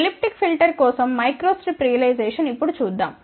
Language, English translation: Telugu, Let us see now microstrip realization for elliptic filter